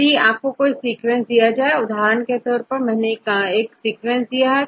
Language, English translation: Hindi, So, we have a sequence; for example, this is a sequence